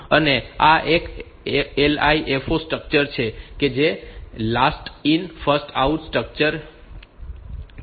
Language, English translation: Gujarati, And this is a LIFO structure last in first out structure